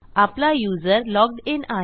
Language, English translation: Marathi, So my user is logged in